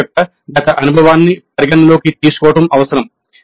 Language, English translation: Telugu, The past experience of the institute needs to be taken into account